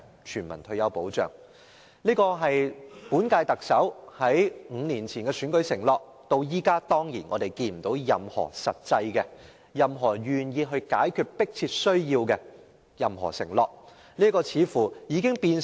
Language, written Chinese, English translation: Cantonese, 全民退休保障是本屆特首5年前的選舉承諾，但至今他卻沒有作出任何願意解決這個迫切需要的實際承諾。, Implementing universal retirement protection is an election undertaking made by the incumbent Chief Executive five years ago . But so far he has not made any actual promise as a show of his willingness to resolve this urgent need